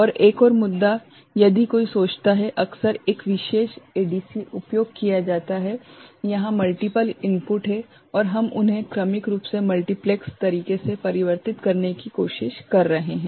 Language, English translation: Hindi, And another issue, one often thinks, often one particular ADC is used for multiple inputs is there a are multiple input is there and we are trying to convert them ok, sequentially right in a multiplex manner